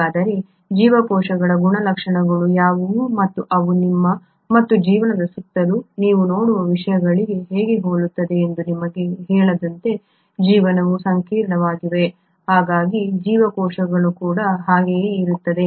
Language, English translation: Kannada, So what are the properties of cells and how are they similar to the things that you see around yourself and life, as I told you, life is complex but so are cells